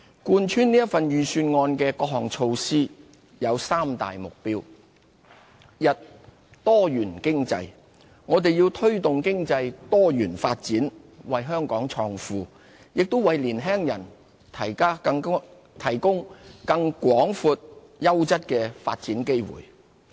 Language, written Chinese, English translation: Cantonese, 貫穿這份預算案的各項措施有三大目標：一多元經濟。我們要推動經濟多元發展，為香港創富，也為年輕人提供更廣闊、優質的發展機會。, The initiatives put forward in this Budget are underpinned by three main objectives 1 Diversified economy we have to diversify our economy to create wealth for Hong Kong and provide wider and better development opportunities for our young people